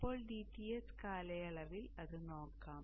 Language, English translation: Malayalam, So now let us say that during the DTS period